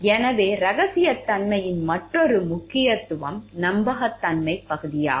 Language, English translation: Tamil, So, another importance of confidentiality is the trust worthiness part